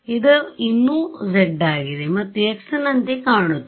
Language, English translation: Kannada, This is z still; it looks like x is it